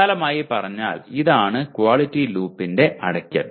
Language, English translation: Malayalam, This is broadly the closing of the quality loop